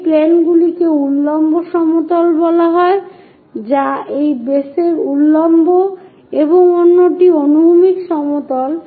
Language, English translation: Bengali, This planes are called vertical plane, vertical to that base, other one is horizontal plane